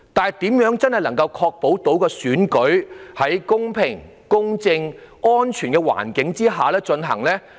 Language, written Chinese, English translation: Cantonese, 然而，我認為更重要的是，如何確保選舉能夠在公平、公正和安全的環境下進行。, And yet what I consider more important is how to ensure that the Election can be conducted under a fair just and safe environment